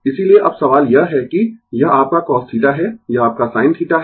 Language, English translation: Hindi, Therefore, now question is that this is your cos theta, this is your sin theta